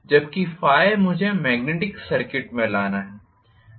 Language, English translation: Hindi, Whereas Phi I have to bring in magnetic circuits